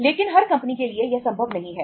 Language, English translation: Hindi, But this is not possible for every company